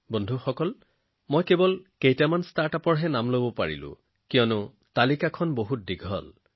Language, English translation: Assamese, Friends, I can mention the names of only a few Startups here, because the list is very long